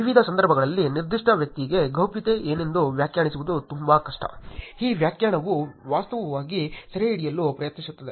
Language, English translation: Kannada, It is very hard to define what privacy is for a particular individual across various situations, that is what this definition is actually trying to capture